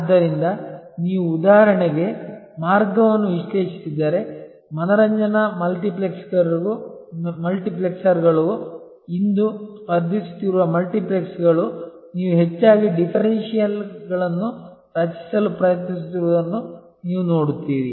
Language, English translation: Kannada, So, if you analyze the way for example, the multiplexes the entertainment multiplexers are today competing you will see their most often trying to create differentials